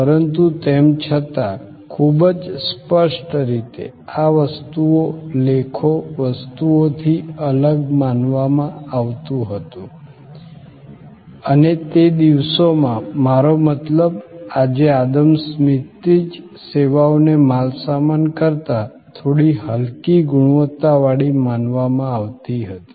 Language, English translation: Gujarati, But, yet very distinctly, these were considered different from goods, articles, objects and in those days, I mean right from Adam Smith today, services were considered to be a little inferior to goods